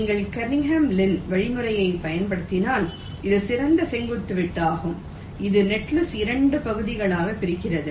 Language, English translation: Tamil, if you apply kernighan lin algorithm, this will be the best vertical cut, which is dividing the netlist into two parts